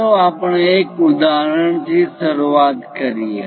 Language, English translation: Gujarati, Let us begin with one example